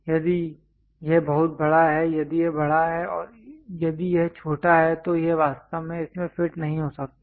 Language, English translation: Hindi, If it is too large if this one is large and if this one is small it cannot really fit into that